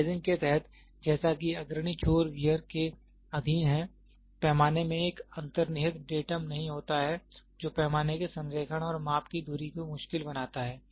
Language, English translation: Hindi, Under sizing occurs as leading ends are subjected to wear, the scale does not have a built it datum which makes the alignment of the scale and the axis of measurement difficult